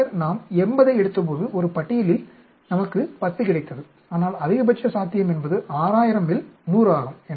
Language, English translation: Tamil, Then what we got is 10 in a list of, when we took out 80, but maximum possible is 100 out of 6000